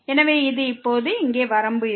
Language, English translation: Tamil, So, this will be the limit now here